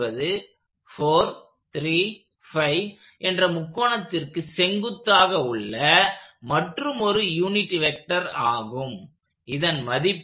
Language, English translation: Tamil, at is along another unit vector that is going perpendicular to this 4, 3, 5 triangle, its magnitude firstly, is this 1